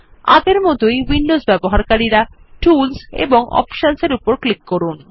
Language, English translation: Bengali, As before, Windows users, please click on Tools and Options